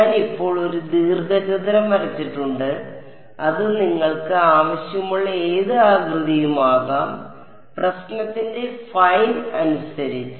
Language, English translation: Malayalam, I have just drawn a rectangle it can be any shape you want, depending on the problem fine